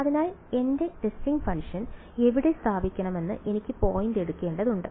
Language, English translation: Malayalam, So, I just have to pick up point where should I place my testing function